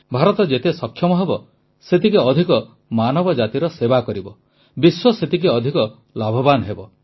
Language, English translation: Odia, The more India is capable, the more will she serve humanity; correspondingly the world will benefit more